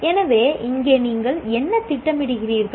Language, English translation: Tamil, So, here what you do, you plan